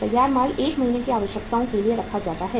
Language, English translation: Hindi, Finished goods are kept for 1 month’s requirements